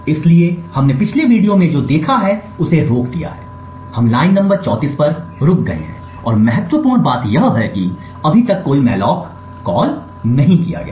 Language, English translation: Hindi, So what we have stopped as we have seen before in the previous videos is that we have stopped at line number 34 and importantly right now there is no malloc has been called as yet